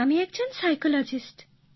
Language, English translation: Bengali, I am a psychologist